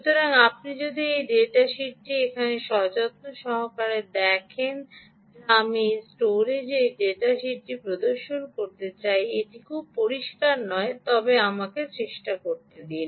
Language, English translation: Bengali, so if you look carefully into this data sheet here which i would like to show on this camera, this data sheet, ah, its not very clear, but let me try